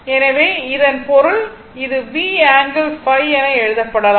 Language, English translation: Tamil, So, that mean this one actually can be written as V angle phi